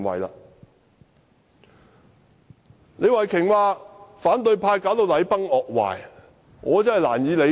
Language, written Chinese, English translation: Cantonese, 對於李慧琼議員說反對派導致禮崩樂壞，我覺得難以理解。, I find it difficult to understand Ms Starry LEEs rationale when she said the opposition camp had brought society in total disarray